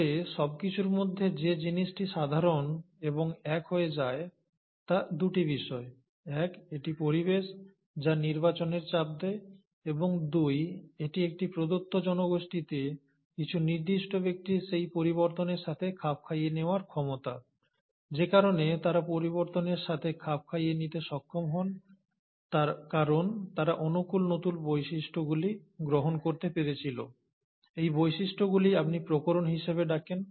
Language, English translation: Bengali, But, thing which remains common and unifying across all this are two; one, it's the environment, which provides that pressure, the selection pressure, and two, it is the ability of a certain individuals in a given population to adapt to that change, and the reason they are able to adapt to that change is because they manage to acquire new characteristics which are favourable, and these characteristics is what you classically call as variations